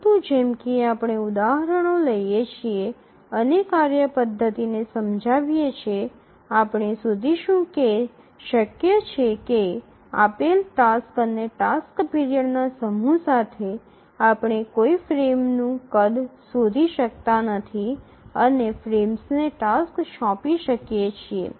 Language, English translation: Gujarati, But as we take examples and explain the methodology, we will find that it may be possible that with a given set of tasks and task periods we may not be able to find a frame size and assign tasks to frames